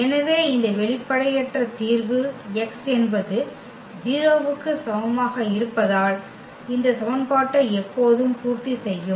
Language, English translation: Tamil, So, meaning this non trivial solution because x is equal to 0 will always satisfy this equation